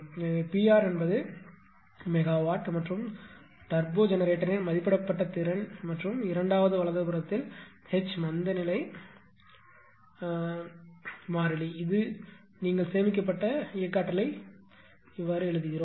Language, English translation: Tamil, Where P r is the rated capacity of turbo generator that is megawatt and H is inertia constant in second right, this you write the stored kinetic energy